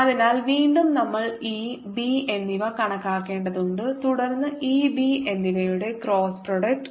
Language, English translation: Malayalam, so again we have to calculate e, b and then cross product of e and b